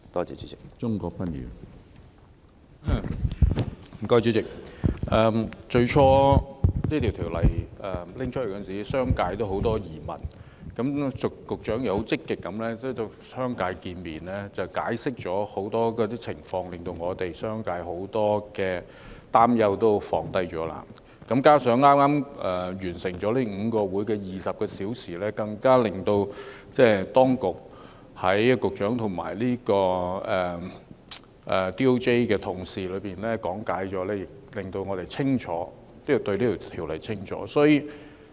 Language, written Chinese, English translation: Cantonese, 主席，政府最初提出《條例草案》時，商界有很多疑問，局長積極地與商界見面，解釋了很多情況，令我們商界很多擔憂都能紓解；加上剛剛完成了5個共20小時會議，當局及律政司的同事講解，亦令我們更清楚《條例草案》的內容。, President when the Bill was first tabled by the Government the business sector was full of queries . The Secretary proactively met with the business sector and explained to us many scenarios so that most worries of the business sector could be allayed . Moreover with the explanation from the authorities and the colleagues of the Department of Justice DoJ in a total of 20 hours in the five meetings just concluded we are clearer about the contents of the Bill